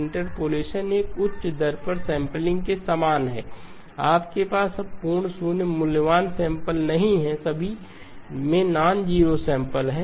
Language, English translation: Hindi, Interpolation is the same as sampling at a higher rate, you now have full now no zero valued samples, all have nonzero samples